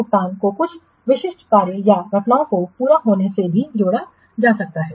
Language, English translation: Hindi, So payments can also be tied to the completion of some specific tax or events